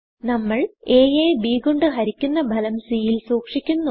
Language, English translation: Malayalam, We divide a by b